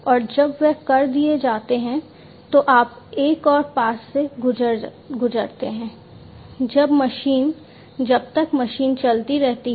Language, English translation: Hindi, And after they are done you go through another pass, when the machine, until the machine continues to operate